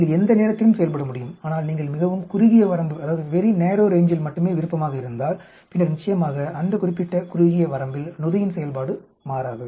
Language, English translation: Tamil, You can operate at any time but if you are interested only in a very narrow range then obviously the enzyme activity does not change in that particular narrow range